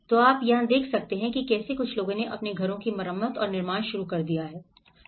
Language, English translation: Hindi, So what you can see like how some people have started repairing their houses and building the new houses